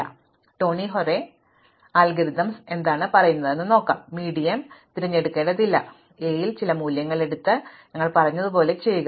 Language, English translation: Malayalam, So, what quick sort Tony Hoare algorithms says, do not necessarily pick the medium, just picks some value in A and do what we said